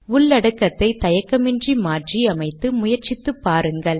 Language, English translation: Tamil, Feel free to modify the content and try them out